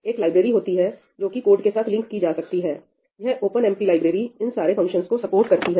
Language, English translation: Hindi, there is a library that is a linked along with your code the OpenMP library, and it provides support for all these functions